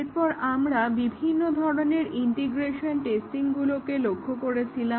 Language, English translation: Bengali, And then we had looked at the different types of integration testing